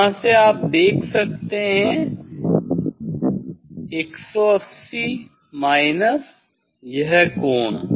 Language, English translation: Hindi, from 180 from here you can see from 180 minus of this angle